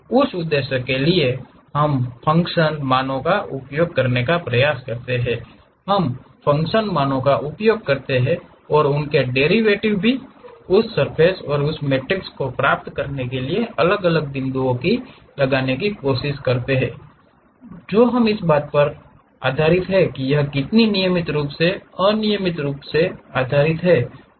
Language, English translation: Hindi, For that purpose, we try to use the function values, we use the function values and also their derivatives try to impose it different points to get that surface and that matrix based on how smooth that is how regularly it is conditioned or ill conditioned based on that we will be going to construct these surfaces